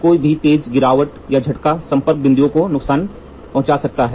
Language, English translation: Hindi, Any sharp fall or blow can damage the contact point